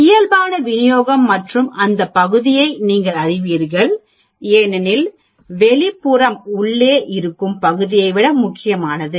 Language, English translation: Tamil, You know the normal distribution and you know the area, as the outside area is more important than the inside area